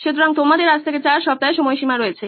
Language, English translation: Bengali, So you have a deadline of 4 weeks from today